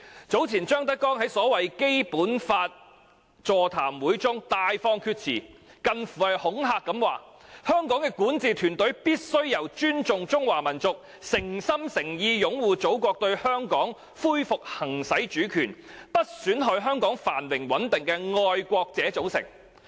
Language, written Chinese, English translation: Cantonese, 張德江早前在所謂《基本法》座談會中大放厥辭，以近乎恐嚇的言語說，香港的管治團隊應由尊重中華民族，誠心誠意擁護祖國對香港恢復行使主權，不損害香港繁榮穩定的愛國人士組成。, Earlier ZHANG Dejiang talked drivel in a so - called seminar on the Basic Law in language close to intimidation saying Hong Kongs governing team should comprise patriots who respect the Chinese nation and sincerely uphold resumption of exercise of sovereignty by the Motherland over Hong Kong without undermining Hong Kongs prosperity and stability